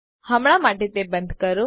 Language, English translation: Gujarati, For now lets switch it off